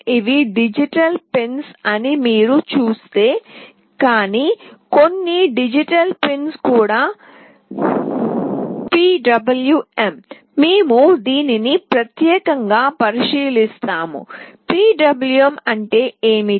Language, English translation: Telugu, And if you see these are digital pins, but some of the digital pins are also PWM, we will look into this specifically what is PWM in course of time